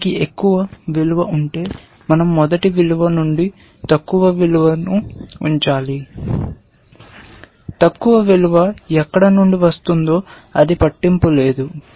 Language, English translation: Telugu, If it has a higher value, we must keep the lower value from the first one, it does not matter where the lower value comes from